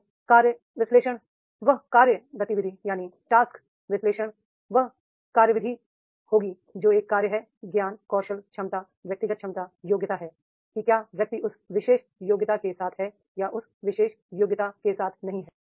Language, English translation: Hindi, And task analysis will be the work activity that is a task, the knowledge, scale, ability, personal capability, competency, whether the person is having that particular competency or not having that particular competency